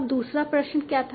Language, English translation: Hindi, Now what was the second question